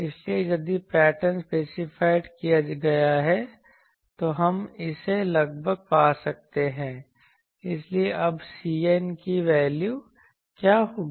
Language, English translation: Hindi, So, if the pattern is specified, we can find it approximately so, what will be now C n value